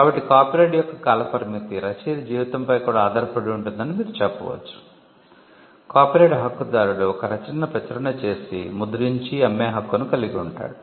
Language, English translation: Telugu, So, you can say that the term of the copyright is also dependent on the life of the author, the copyright holder has the right to print publish sell copies of the work